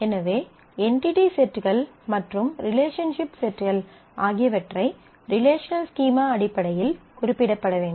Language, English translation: Tamil, So, entity sets and relationship sets have to be represented in terms of relational schema